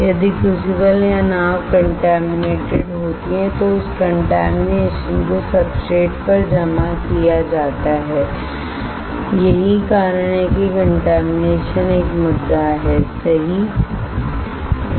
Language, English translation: Hindi, If the crucible or boat is contaminated, that contamination will also get deposited on the substrate that is why there is a contamination issues right